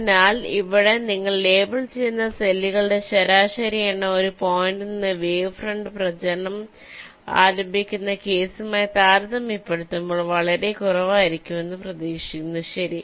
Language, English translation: Malayalam, so again here, the average number of cells you will be leveling will is expected to be matchless, as compared to the case where you start the wavefront propagation from one point